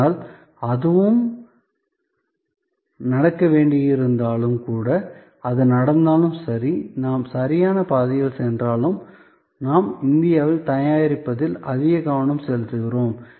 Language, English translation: Tamil, But, even that, even if that and that should happen, so even if that happens and we go on the right path, where we focus more and more on make in India